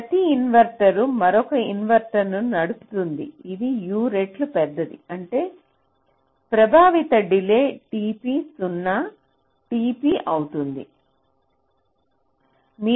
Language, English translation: Telugu, so so each inverter is driving another inverter which is u times larger, which means the affective delay will be t p, zero t p